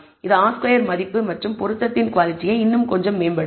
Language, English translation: Tamil, That will improve the R squared value and the fit quality of the fit little more